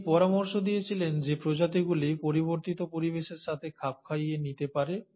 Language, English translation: Bengali, So he suggested that the species can adapt to the changing environment